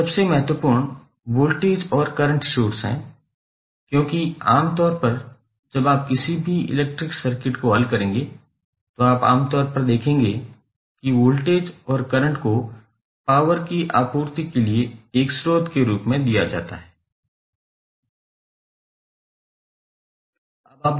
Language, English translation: Hindi, The most important are voltage and current sources because generally when you will solve any electrical circuit you will generally see that voltage and current are given as a source for the supply of power